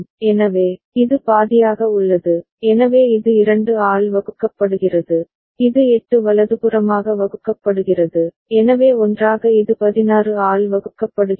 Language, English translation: Tamil, So, this is halved, so this is divided by 2, and this is divided by 8 right, so together it is divided by 16